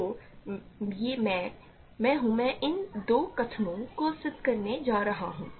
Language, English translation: Hindi, So, this I am I am going to prove these two statements